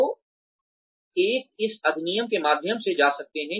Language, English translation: Hindi, So, one can go through this act